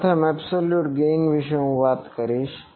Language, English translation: Gujarati, So absolute gain first I will talk about